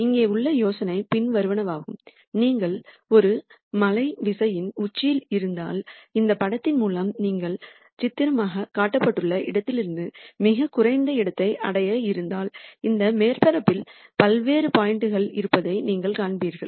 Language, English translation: Tamil, The idea here is the following, if you are on the top of a mountains keying and you are interested in reaching the bottom most point from where you are pictorially shown through this picture here, you will see that there are several different points in this surface